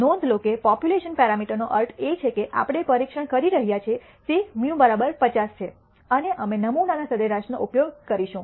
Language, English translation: Gujarati, Notice, that the population parameter mean that we are testing is mu equals 50 and we are going to use the sample mean